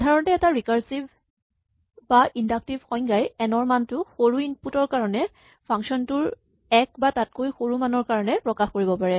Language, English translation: Assamese, In general a recursive or inductive definition can express the value for n in terms of 1 or smaller values of the function for smaller inputs